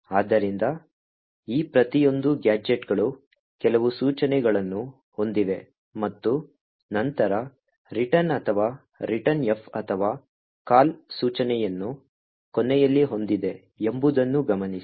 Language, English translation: Kannada, Okay, so note that the each of these gadgets has a few instructions and then has a return or a returnf or call instruction at the end